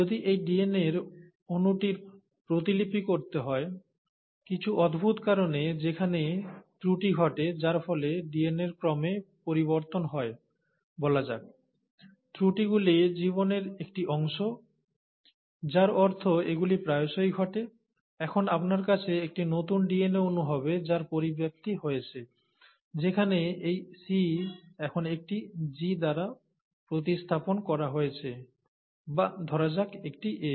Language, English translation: Bengali, Now, if this molecule of DNA were to undergo replication, and for some strange reason, there error happens because of which the sequence in the DNA, let’s say, changes, and the errors are a part of life, I mean they do happen pretty common, and now, you’ll have a new DNA molecule which has a mutation where this C has now been replaced by a G, or a let’s say an A